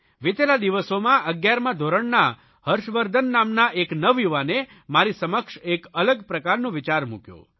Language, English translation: Gujarati, Recently, Harshvardhan, a young student of Eleventh Class has put before me a different type of thought